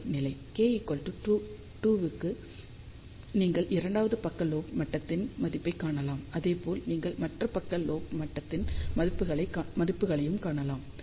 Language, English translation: Tamil, For k equal to 2 you can find the value of second side lobe level and similarly you can find the value of other side lobe level